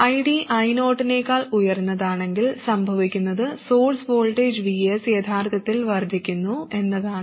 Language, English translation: Malayalam, And if ID is higher than I 0, what happens is that the source voltage VS actually increases